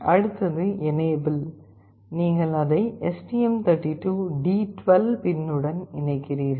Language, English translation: Tamil, Then next one is your enable, you are connecting it to the STM32 D12 pin